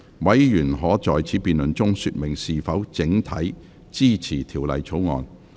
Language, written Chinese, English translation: Cantonese, 委員可在此辯論中說明是否整體支持條例草案。, Members may indicate whether they support the Bill as a whole in this debate